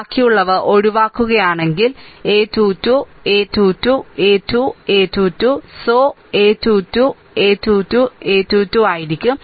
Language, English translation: Malayalam, If you eliminate remaining will be a 2 2, a 2 3, a 3 2, a 3 3 so, a 2 2, a 2 3, a 3 2, a 3 3